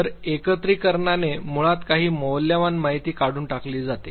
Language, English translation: Marathi, So, aggregation basically leads to elimination of certain valuable information